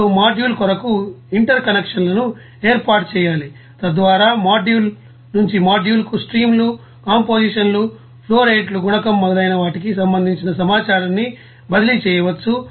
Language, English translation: Telugu, Now, interconnections must be you know set up for the module, so that information can be you know transferred from module to module and concerning the streams, compositions flowrates, coefficients etc and so on